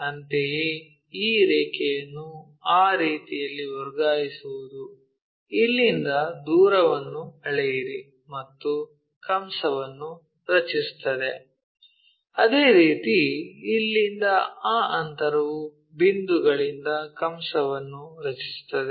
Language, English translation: Kannada, Similarly, transfer these lines in that way is more like from here measure the distance, make an arc; similarly, from here whatever that distance make an arc from that point